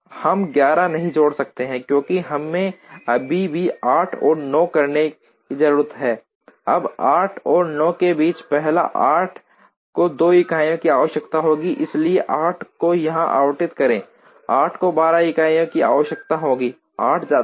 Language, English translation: Hindi, We cannot add 11, because we still need to do 8 and 9, now between 8 and 9 8 comes first 8 requires 2 units, so allocate 8 here, 8 requires 2 units; 8 goes